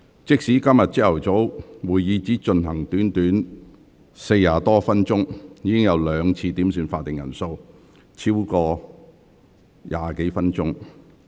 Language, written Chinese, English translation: Cantonese, 即使今早會議只進行了短短40多分鐘，議員已兩次要求點算法定人數，消耗超過20分鐘。, Even for the meeting this morning which has just gone on for some 40 minutes Members have already requested for a headcount twice wasting over 20 minutes